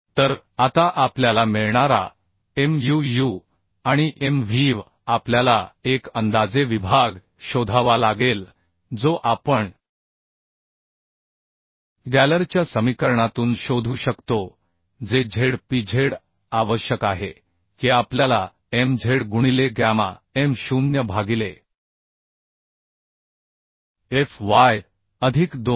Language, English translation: Marathi, 6375 kilonewton meter okay So Muu and Mvv we obtained Now we have to find out a approximate section that we can find out from the Gaylord equation that is Zpz required that we know Mz into gamma m0 by fy plus 2